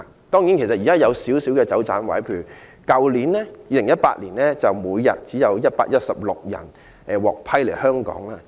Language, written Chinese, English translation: Cantonese, 當然，現時還有少許空間、有"走盞位"，在去年每天便只有116人獲批來港。, Of course one can still find some room for reduction as only 116 people were allowed to come to Hong Kong on a daily average last year in 2018